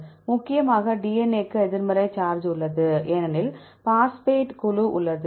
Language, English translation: Tamil, Mainly DNA has a negative charge because the phosphate group